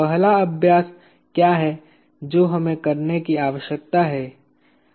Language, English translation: Hindi, What is the first exercise that we need to carry out